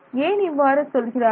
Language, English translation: Tamil, So, why do they say that